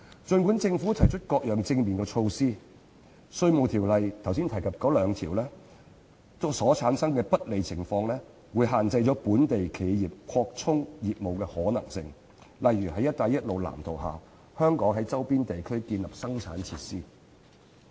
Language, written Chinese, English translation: Cantonese, 儘管政府提出各樣正面措施，但我剛才提及《稅務條例》的那兩項條文所產生的不利情況，會限制本地企業擴充業務的可能性，例如在"一帶一路"藍圖下於香港周邊地區建立生產設施。, Despite the various positive initiatives proposed by the Government the two sections of the Inland Revenue Ordinance I referred to just now will inhibit the possibility of business expansion on the part of local enterprises such as the installation of production facilities in the neighbouring regions of Hong Kong under the blueprint for the Belt and Road Initiative